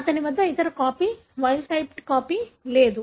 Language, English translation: Telugu, He doesn’t have the other copy, wild type copy